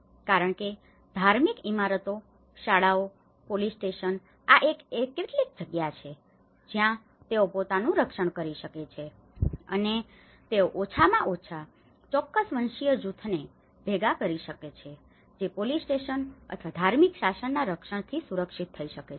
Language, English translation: Gujarati, Because the religious buildings, the schools, the police stations, these are some place where they can protect themselves and they can gather at least certain ethnic group can be protected with the protection of police station or the religious governance